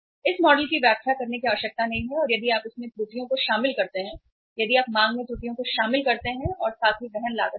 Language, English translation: Hindi, No need to explain this model and if you incorporate the errors in this, if you incorporate the errors in the demand as well as in the carrying cost